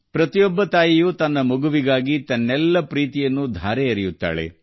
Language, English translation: Kannada, Every mother showers limitless affection upon her child